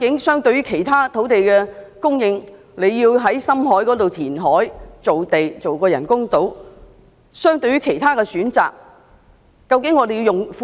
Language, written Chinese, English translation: Cantonese, 相對其他土地供應選項，在深海填海造地興建人工島要耗用多少公帑？, How much public funds will be expended on the construction of artificial islands by means of deep - sea reclamation as opposed to other land supply options?